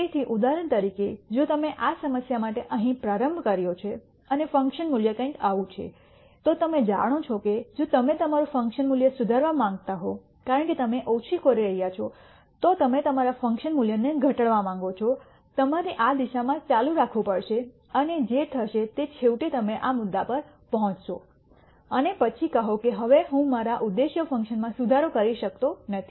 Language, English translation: Gujarati, So, for example, if you started here for this problem and the function value is something like this you know that if you want to improve your function value that is it since you are minimizing you want to reduce your function value you have to keep going in this direction